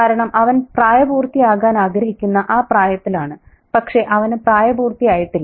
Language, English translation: Malayalam, Because he is in that age where he wants to become an adult but he is not an adult